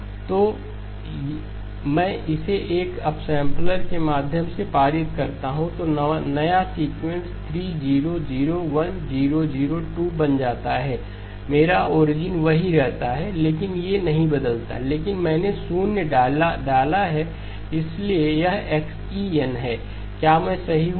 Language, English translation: Hindi, If I pass it through an upsampler, so the new sequence becomes 3, 0, 0, 1, 0, 0, 2, dot dot dot, my origin remains the same, I does not change but I have inserted the zeros, so this is xE of n, am I right